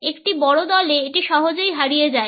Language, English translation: Bengali, In a large group it is easily lost